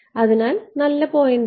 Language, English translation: Malayalam, So, good point